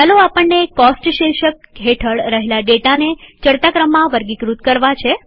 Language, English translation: Gujarati, Lets say, we want to sort the data under the heading Costs in the ascending order